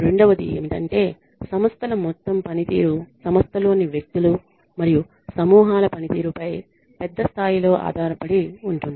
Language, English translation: Telugu, The second assumption is the firms overall performance depends to a large degree on the performance of individuals and groups within the firm